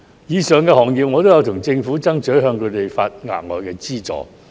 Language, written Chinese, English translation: Cantonese, 就上述行業，我曾向政府爭取，為他們提供額外資助。, As regards the above mentioned industries I have asked the Government to provide them with additional subsidies